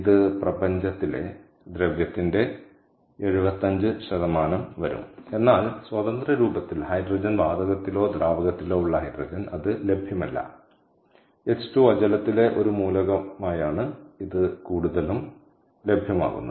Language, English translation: Malayalam, it makes about about seventy five percent of the matter in universe, but in the free form, as just hydrogen at the hydrogen, gas or liquid, it is not available